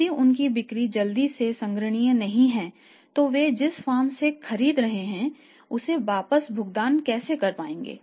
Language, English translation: Hindi, So, if their sales are not collectible quickly the how will they be able to pay back to the firm from whom they are buying